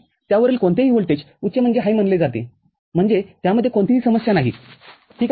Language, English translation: Marathi, Any voltage above that is considered as high that is, no issue with that, ok